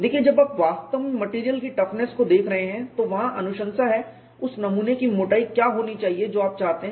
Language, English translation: Hindi, Say when you are really looking at material toughness, there are recommendations what should be the thickness of the specimen that you want